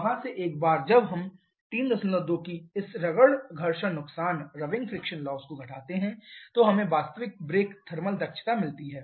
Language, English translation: Hindi, And then finally when we add the frictional losses to that then we get the actual brake power output from your engine